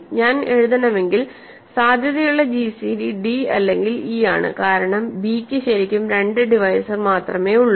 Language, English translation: Malayalam, gcd, if a potential gcd I should write, a potential gcd is either d or e because b has only 2 divisors really